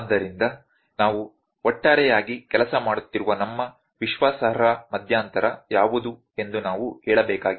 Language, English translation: Kannada, So, we have to tell that what is our confidence interval in which we are working overall